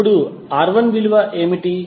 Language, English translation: Telugu, Now, what is the value of R1